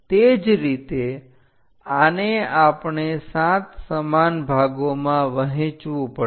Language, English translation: Gujarati, Similarly this we have to divide into 7 equal parts